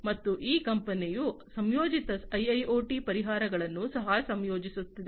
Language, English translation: Kannada, And this company is also incorporating integrated IIoT solutions